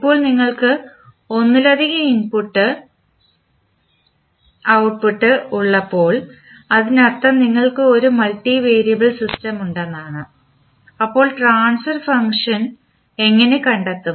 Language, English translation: Malayalam, Now, let us see when you have the multiple input, output that means we have a multivariable system, how we will find out the transfer function